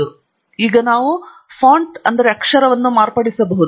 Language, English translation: Kannada, And we can modify now the Font